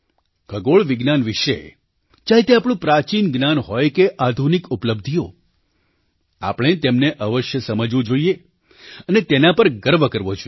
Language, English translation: Gujarati, Whether it be our ancient knowledge in astronomy, or modern achievements in this field, we should strive to understand them and feel proud of them